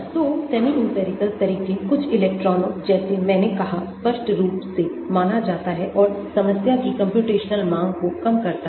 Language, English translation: Hindi, So, semi empirical methods; some of the electrons like I said are considered explicitly and reduces computational demand of the problem